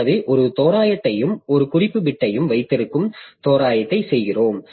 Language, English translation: Tamil, So, we do an approximation in which we keep a timer and a reference bit